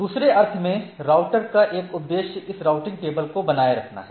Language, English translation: Hindi, So, in other sense the router one of the objective is to maintain this routing table